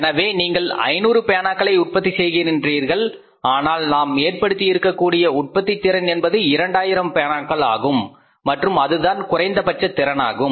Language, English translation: Tamil, So, you are manufacturing 500 pence but the capacity of the plant which we have say installed put in place that is up to of 2,000 pens and that was the minimum capacity available